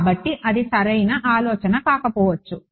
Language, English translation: Telugu, So, maybe that is a bad idea